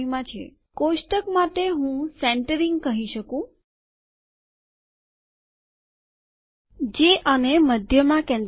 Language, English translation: Gujarati, as in the table I can say centering, which will center this at the middle